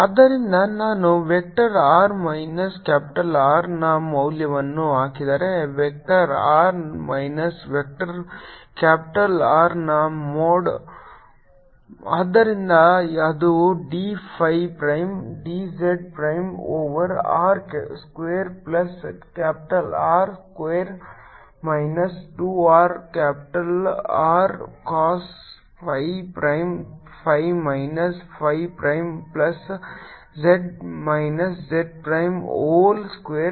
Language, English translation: Kannada, so so if i put the value of vector r minus capital r, mod of vector r minus vector capital r, so that is the d phi prime d z prime over r square plus capital r square minus two r capital r cost phi prime phi minus phi prime plus z minus z prime, whole square